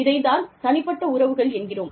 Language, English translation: Tamil, And, that is what, personal relationships are, all about